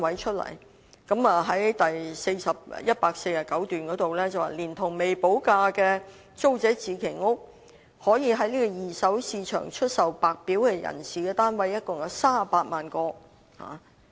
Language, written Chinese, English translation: Cantonese, 施政報告第149段指出，連同未補地價的租者置其屋計劃，可以在二手市場出售給白表人士的單位共有38萬個。, In paragraph 149 of the Policy Address it is stated that taking into account the Tenants Purchase Scheme TPS flats with premium unpaid there are 380 000 flats in total available on the secondary market for purchase by White Form buyers